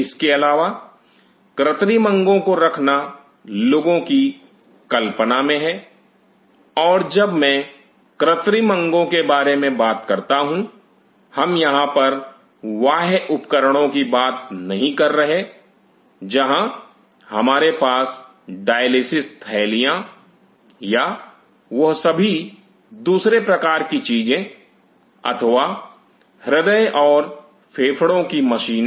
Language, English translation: Hindi, Apart from it the dream of man kind of having artificial organs and when I talk about artificial organ here, we are not I am not talking about extracorporeal devices where we have dialysis bags or all those other kinds of things or you now heart lung machine